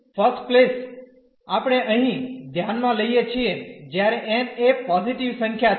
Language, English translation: Gujarati, So, first space we are considering here when n is a positive number